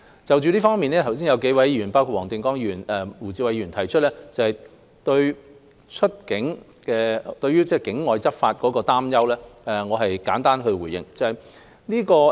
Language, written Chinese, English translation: Cantonese, 就這方面，剛才有數位議員，包括黃定光議員及胡志偉議員，提出對境外執法的擔憂，讓我簡單回應。, In this connection Members including Mr WONG Ting - kwong and Mr WU Chi - wai raised their concerns earlier about law enforcement outside Hong Kong . Let me give a simple response